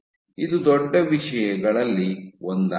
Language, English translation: Kannada, So, this was one of the big things